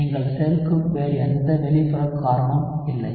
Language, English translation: Tamil, Not any other external base that you are adding